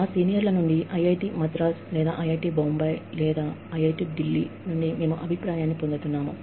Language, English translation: Telugu, We keep getting feedback, from our seniors, in say, IIT Madras, or IIT Bombay, or IIT Delhi